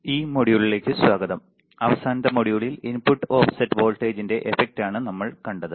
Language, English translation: Malayalam, Welcome to this module in the last module what we have seen is the effect of the input offset voltage right